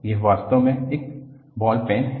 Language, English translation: Hindi, This is actually a ball pen